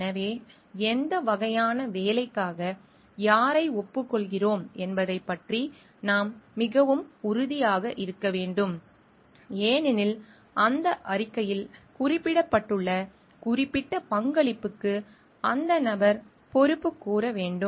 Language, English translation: Tamil, So, we should be very very specific about we are acknowledging whom for what kind of work because, that person is accountable for that specific contribution that is mentioned in the report